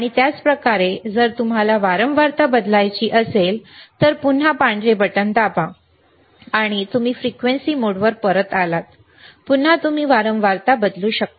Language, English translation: Marathi, And same way if you want to change the frequency, again press the white button, and you are back to the frequency mode, again you can change the frequency, excellent